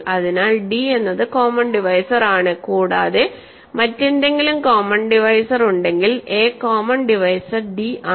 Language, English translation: Malayalam, So, d is the common divisor and if there is some other common divisor then that common divisor divides d